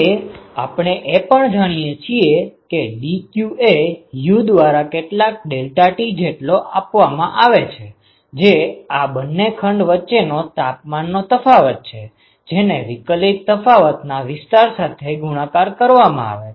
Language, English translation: Gujarati, So, now, but we also know that dq is given by U some deltaT ok, which is the difference in the temperature between these two chambers multiplied by the differential area